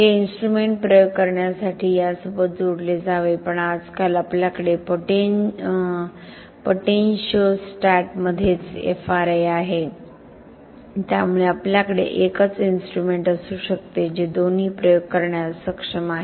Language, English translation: Marathi, This instrument should be coupled with this to do the experiment but nowadays we have a inbuilt FRA in potentiostate itself so we can have single instrument which is capable of doing both the experiments